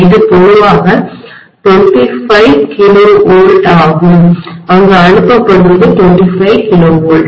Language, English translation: Tamil, It is generally 25 KV, what is being transmitted there is 25 KV